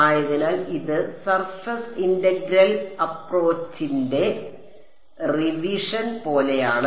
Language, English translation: Malayalam, So this is kind of like a revision of the surface integral approach right